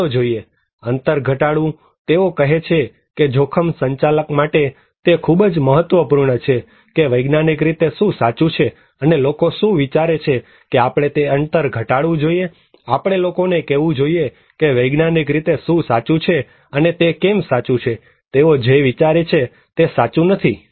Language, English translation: Gujarati, Let us look, reducing the gap; they are saying that it is very important for the risk manager that what scientifically true, and what people think we should reduce that gap, we should tell people that what is scientifically true and why it is true, what they think is not right